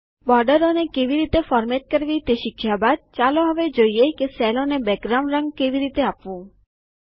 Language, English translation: Gujarati, After learning how to format borders, now let us learn how to give background colors to cells